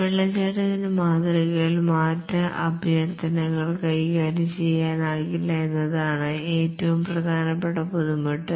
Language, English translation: Malayalam, Possibly the most important difficulty is there is no way change requests can be handled in the waterfall model